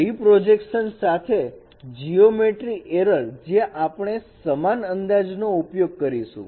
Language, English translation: Gujarati, Geometric error with reprojection where we will be using also the same estimation